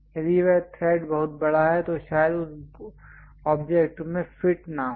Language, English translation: Hindi, Perhaps if that thread is very large perhaps it might not really fit into that object also